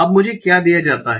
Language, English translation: Hindi, So now what is given to me